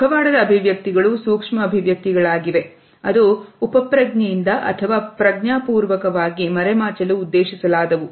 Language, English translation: Kannada, Masked expressions are also micro expressions that are intended to be hidden either subconsciously or consciously